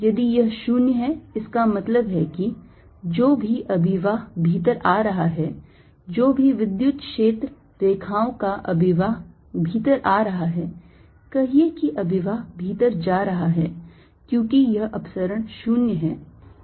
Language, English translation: Hindi, if this is zero, that means whatever fluxes coming in, whatever electric filed lines a flux is coming in, say, flux is going out because this divergence is zero